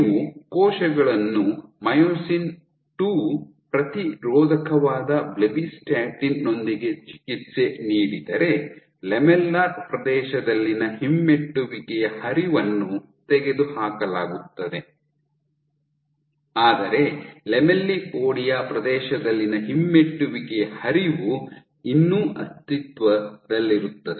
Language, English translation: Kannada, So, if you inhibit if you treat cells with blebbistatin which is the myosin II inhibitor then the retrograde flow in the lamellar region is eliminated, but the retrograde flow in the lamellipodia region still exists